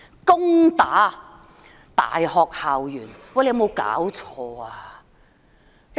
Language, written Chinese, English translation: Cantonese, 攻打大學校園，有沒有搞錯？, What the hell were those attacks on university campuses about?